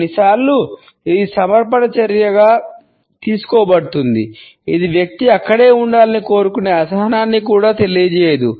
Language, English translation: Telugu, Sometimes it is taken a as an act of submission, it does not convey any impatience the person would stay there wants to stay there also